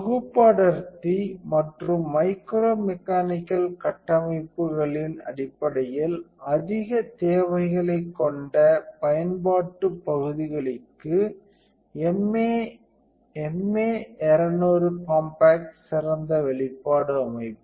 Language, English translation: Tamil, The MA 200 compact is the ideal exposure system for application areas with high demands in terms of package densities and micro mechanical structures